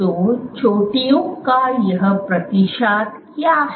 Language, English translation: Hindi, So, what is this percentage of peaks